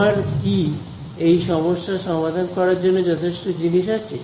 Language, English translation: Bengali, Do we have enough to solve this problem